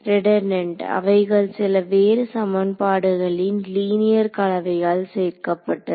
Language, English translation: Tamil, Redundant they are just formed by taking a linear combination of some of the other equations